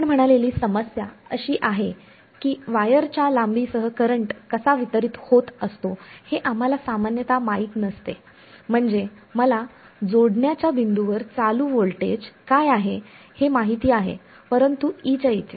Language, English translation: Marathi, The trouble we said is that we do not typically know how is the current distributed along the length of the wire; I mean, I know what is the voltage at the current at the point of connected, but across the length I do not know what is J as a function of space